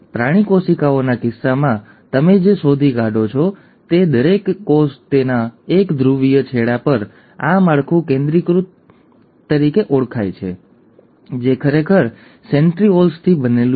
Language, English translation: Gujarati, Now, in case of animal cells, what you find is each cell at one of its polar end has this structure called as the centrosome which actually is made up of centrioles